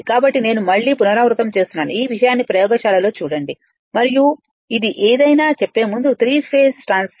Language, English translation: Telugu, So, I repeat again, see in the laboratory just to see this thing and before saying anything that you have a this is a 3 phase stator know in the transformer the flux was a time varying right